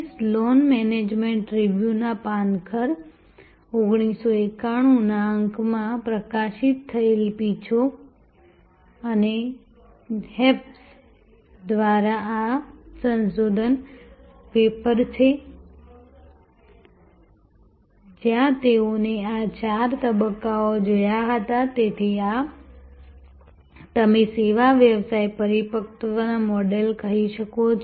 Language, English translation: Gujarati, This is the research paper by chase and hayes published in the fall 1991 issue of Sloan management review, where they had looked at this four stage of, so this is the you can say service business maturity model